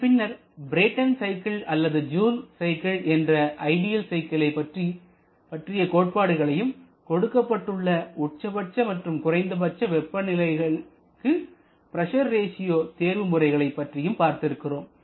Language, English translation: Tamil, Then we talked about the Brayton or Joule cycle the ideal cycles the concept of optimum pressure ratios for given maximum and minimum temperature for the cycle